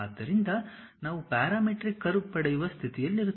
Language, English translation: Kannada, So, that one will we will be in a position to get a parameter curve